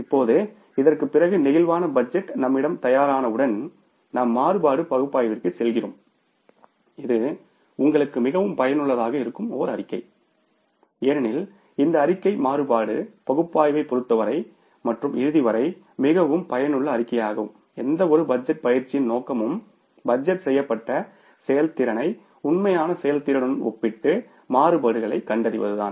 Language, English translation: Tamil, Now, after this means once the flexible budget is ready with us, we go for the variance analysis and this is a statement which is of very significantly used to you because this statement is a very useful statement as far as the variance analysis is concerned and ultimate purpose of any budgeting exercise is to compare the budgeted performance with the actual performance and find out the variances, right